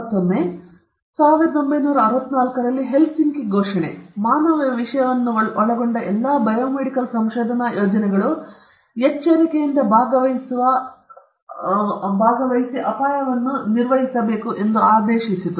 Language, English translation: Kannada, Again, the declaration of Helsinki in 1964 mandated that all biomedical research projects, involving human subjects, carefully assess the risk of participation against the benefit